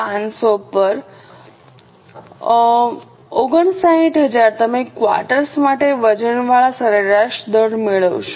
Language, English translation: Gujarati, Getting it 227 500 upon 59,000 you will get the weighted average rate for the quarter